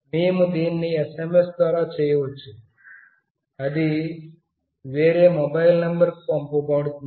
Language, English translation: Telugu, Wee can do this of course through SMS, it will be sent to some other mobile number